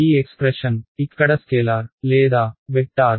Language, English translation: Telugu, Is this expression over here a scalar or a vector